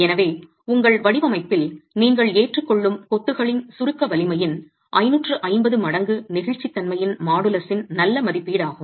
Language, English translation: Tamil, So, 550 times the compressive strength of masonry that you are adopting in your design is a good estimate of the modulus of elasticity